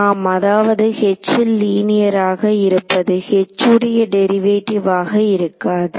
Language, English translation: Tamil, Yeah I mean, but linear in H is not some derivative in H right